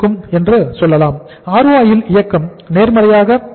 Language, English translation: Tamil, The movement in the ROI will be positive